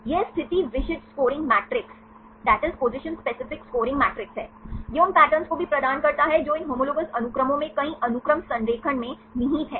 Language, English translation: Hindi, This is the position specific scoring matrices, this also provides the patterns which are inherent in the multiple sequence alignment, in these homologous sequences